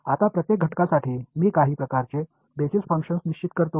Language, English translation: Marathi, Now, for each element I will define some kind of basis functions ok